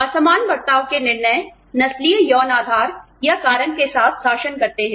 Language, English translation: Hindi, Disparate treatment decision rules with, racial sexual premise or cause